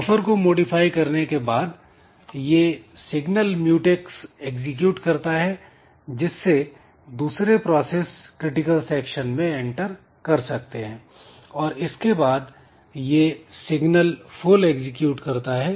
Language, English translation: Hindi, Once the buffer modification is over, it will signal mute X that other processes can enter into the into their critical sections and then it signals full